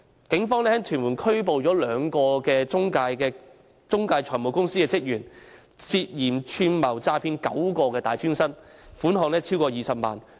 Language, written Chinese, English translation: Cantonese, 警方於屯門拘捕了兩名中介財務公司職員，他們涉嫌串謀詐騙9名大專生，涉及款項超過20萬元。, The Police had arrested two employees of a financial intermediary in Tuen Mun . They were suspected of conspiracy to defraud nine post - secondary students . The amount involved was more than 200,000